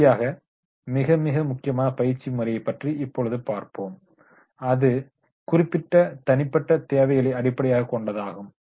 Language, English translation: Tamil, Now the last but not the least is, very important training method and that is the specific based on the specific individual needs